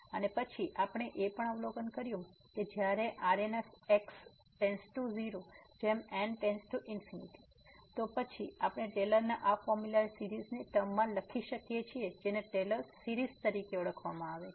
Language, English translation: Gujarati, And then we have also observed that when the remainder term goes to 0 as goes to infinity, then we can write down this Taylor’s formula as in the terms of a series which is called the Taylor series